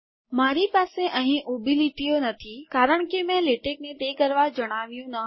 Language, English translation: Gujarati, I dont have the vertical lines thats because I didnt tell latex to do that